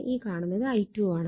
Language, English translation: Malayalam, You will get i 1 is equal to 1